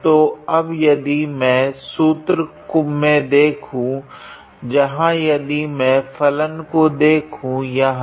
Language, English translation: Hindi, So, now, if I look into the formula where is that if I look into this function here